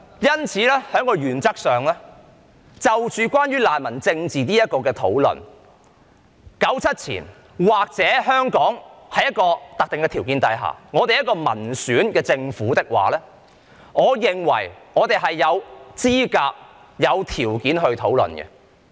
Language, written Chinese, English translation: Cantonese, 因此，在原則上關於難民政治的討論 ，1997 年之前，或香港在一個特定的條件之下，而且政府是民選政府的話，我便認為我們是有資格和條件進行討論。, So in principle I think we were qualified and well positioned to discuss the politics on refugees before 1997 and will be so when Hong Kong is under a specific condition and the Government is elected by the people